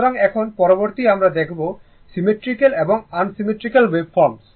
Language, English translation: Bengali, So now, next is that symmetrical and unsymmetrical wave forms